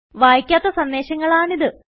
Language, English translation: Malayalam, These are the unread messages